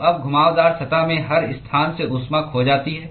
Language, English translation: Hindi, So, now, the heat is lost from every location in the curved surface